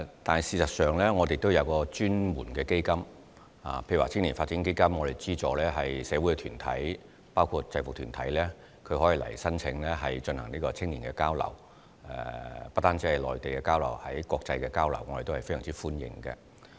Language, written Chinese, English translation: Cantonese, 但事實上，我們也設有專門的基金，例如青年發展基金也有資助一些社會團體——包括制服團體也可以申請基金以資助青年的交流計劃，而且不止是與內地的交流，國際間的交流計劃我們也是非常歡迎的。, But actually we have set up dedicated funds such as the Youth Development Fund which accepts applications from social groups including UGs for subsidies to fund youth exchange programmes . Such programmes are not limited to exchanges with the Mainland . We also welcome applications for funding international exchange programmes